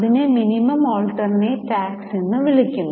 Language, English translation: Malayalam, And that tax is called as minimum alternate tax